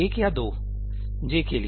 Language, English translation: Hindi, One or two for j